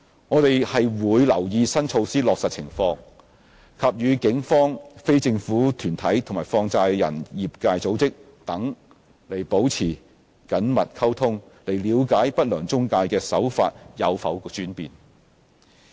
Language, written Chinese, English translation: Cantonese, 我們會留意新措施的落實情況，並與警方、非政府團體和放債人業界組織等保持緊密溝通，了解不良中介的手法有否轉變。, We will keep in view the implementation of the new measures and maintain close communication with the Police non - governmental organizations as well as organizations of the money - lending industry in order to keep track of any changes in the tactics employed by unscrupulous intermediaries